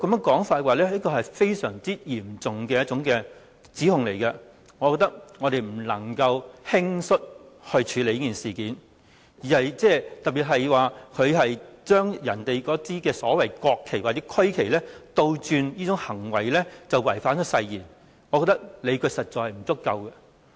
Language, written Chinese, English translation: Cantonese, 這是一項十分嚴重的指控，我們不能輕率處理這件事，特別是有意見認為他把國旗或區旗倒轉擺放，便等於違反誓言，我認為理據實在不足夠。, It is a very serious allegation which we cannot deal with rashly especially as there is the view that the inversion of the national flags or regional flags by him is equivalent to a breach of the oath and this I think lacks sufficient justification